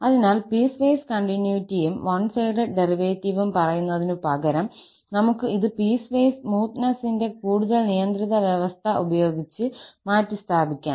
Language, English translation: Malayalam, So, instead of saying piecewise continuity and one sided derivative, we can replace this by slightly more restrictive condition of piecewise smoothness